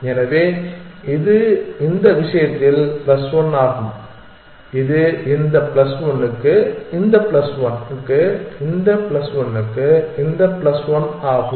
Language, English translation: Tamil, So, this is also plus 1 in this case it is plus 1 for this plus 1 for this plus 1 for this plus 1 for this